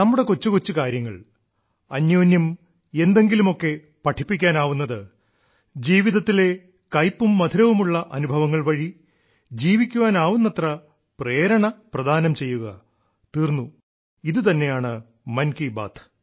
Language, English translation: Malayalam, Little matters exchanged that teach one another; bitter sweet life experiences that become an inspiration for living a wholesome life…and this is just what Mann Ki Baat is